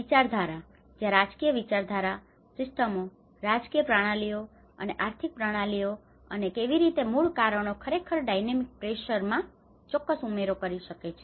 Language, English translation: Gujarati, Ideologies where the political ideology, the systems, political systems and economic systems and how these root causes can actually create certain add on to the dynamic pressures